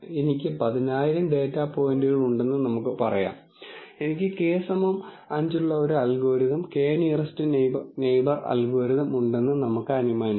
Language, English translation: Malayalam, Let us say I have 10000 data points, and let us assume that I have an algorithm k nearest neighbor algorithm with K equal to 5